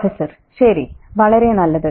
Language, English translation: Malayalam, Okay, very good